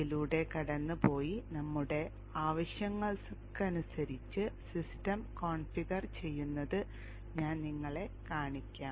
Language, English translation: Malayalam, I will show you by taking a walkthrough and then configuring the system to our needs